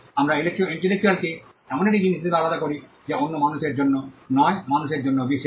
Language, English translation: Bengali, We also distinguish intellectual as something that is special to human beings and not to other beings